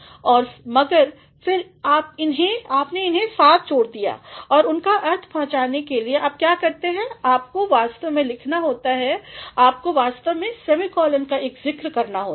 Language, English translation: Hindi, And, but then you have clubbed it together and in order to make them convey their sense what you do is you actually have to write, you actually have to make a mention of semicolon